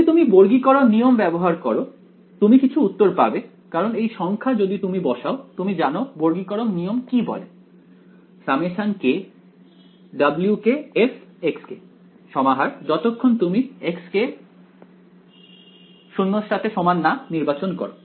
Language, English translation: Bengali, If you use the quadrature rule you will get some answer because its numbers you will put you know what is the quadrature rule saying summation wk f of xk as long as you chose xk to be not 0 right